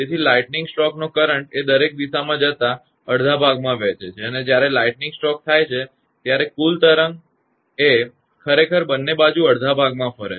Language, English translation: Gujarati, So, the current of the lightning stroke tends to divide half going in each direction and when lightning stroke happens that total wave actually moves both side half half